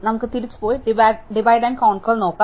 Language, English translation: Malayalam, Let us go back and look at Divide and Conquer again